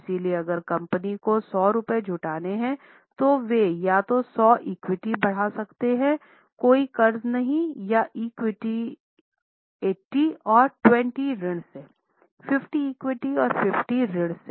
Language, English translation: Hindi, So, if company has to raise 100 rupees, they can either raise 100 of equity no debt, maybe 80 of equity 20 debt, 50 of equity 50 debt